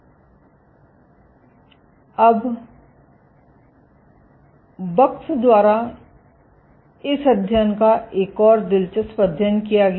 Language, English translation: Hindi, Now another interesting study was performed this study by Bux